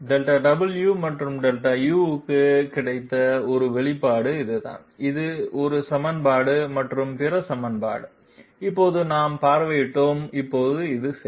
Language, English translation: Tamil, This was the one expression that we got for Delta w and Delta u, this is one equation and other equation we visited just now this one okay